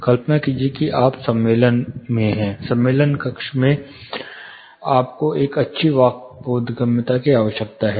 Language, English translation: Hindi, Imagine you are in the conference room, in the conference room you need a good speech intelligibility